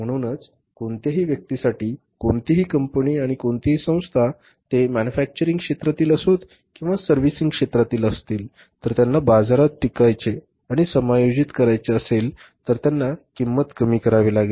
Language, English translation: Marathi, So, for any person, any company, any organization, whether they are in the manufacturing sector or whether they are in the services sector, if they want to sustain and exist in the market they will have to reduce the cost